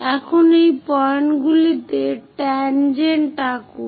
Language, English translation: Bengali, Now, draw tangents to these points